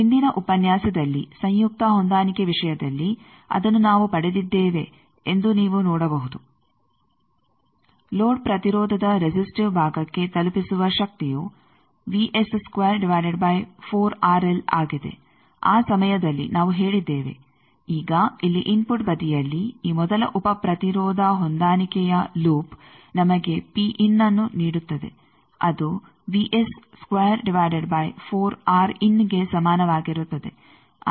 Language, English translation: Kannada, Now, you can see that time we have derived in the previous lecture that in the conjugate match case the power that is delivered to the resistive part of a load impedance that is the V S square by 4 R l that time we said now here in the input side this first sub impedance matching loop that will give us P in is equal to V S square by 4 R in